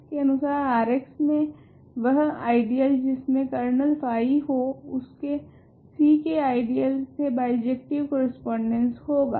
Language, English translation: Hindi, It says that ideals in R x containing kernel phi are in bijective correspondence with ideal in C